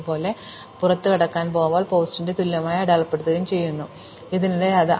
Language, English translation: Malayalam, Likewise when I am about to exit, I would mark post of i equal to count, and again I increment the count